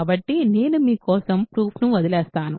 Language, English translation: Telugu, So, I will leave the verification for you